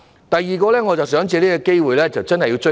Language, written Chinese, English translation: Cantonese, 第二，我想藉這個機會向局長"追數"。, Secondly I would like to take this opportunity to ask the Secretary to make good on the Governments promises